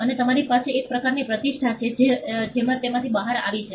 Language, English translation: Gujarati, And you have some kind of reputation that is come out of it